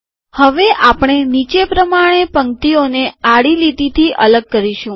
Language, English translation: Gujarati, We will now separate the rows with horizontal lines as follows